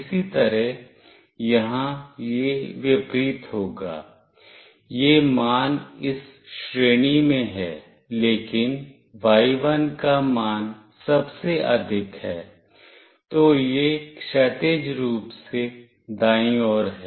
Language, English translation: Hindi, Similarly, here it will be the opposite; this value is in this range, but y1 value is highest, then it is horizontally right